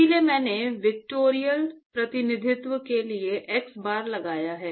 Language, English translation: Hindi, So, I put an xbar for vectorial representation